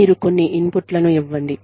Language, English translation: Telugu, You give some inputs